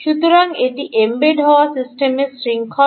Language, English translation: Bengali, so this is the chain of the embedded system